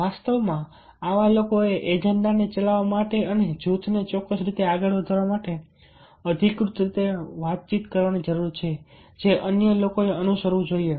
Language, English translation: Gujarati, in fact, such people are required to communicate authoritatively, to run the agenda and to move the group forward in a particular way that other should follow